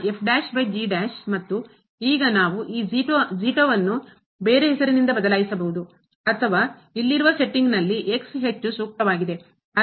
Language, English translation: Kannada, And now we can replace just this by some other name or the most suitable is in the setting here